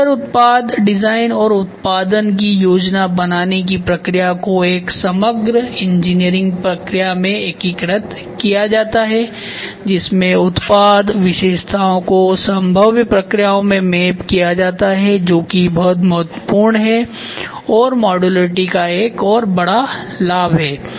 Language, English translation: Hindi, Modular product design and the process of planning the production are integrated in one overall engineering process in which the product features are mapped into their feasible processes in a one to one correspondence this is very important